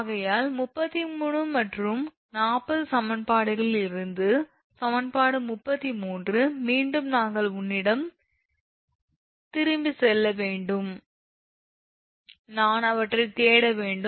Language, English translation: Tamil, Therefore, from equation 33 and 40 we get, equation 33 again we have to go back to you just hold on I have to search those, equation 33